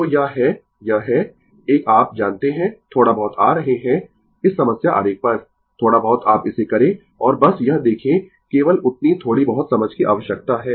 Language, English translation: Hindi, So, this are this is a you know little bit coming to this problem diagram, little bit you do it and just see that only that little bit understanding is required